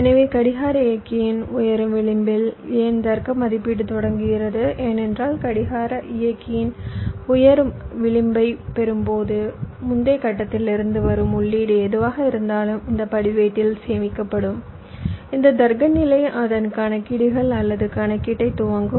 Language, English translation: Tamil, because when we get the rising edge of driving clock, that whatever is the input that is coming from the previous stage, that will get stored in this register and this logic stage will start its calculations or computation